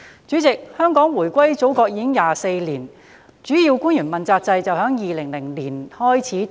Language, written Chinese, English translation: Cantonese, 主席，香港回歸祖國已24年，主要官員問責制於2002年開始實施。, President it has been 24 years since Hong Kongs reunification with the Motherland and the accountability system for principal officials was introduced in 2002